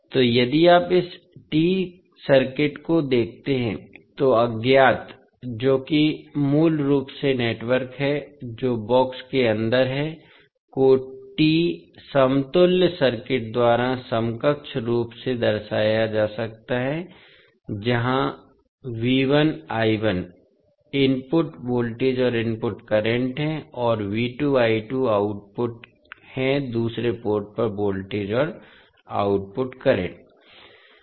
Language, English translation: Hindi, So, if you see this particular T circuit, so the unknown that is basically the network which is there inside the box can be equivalently represented by a T equivalent circuit where VI I1 are the input voltage and input currents and V2 I2 are the output voltage and output current at the other port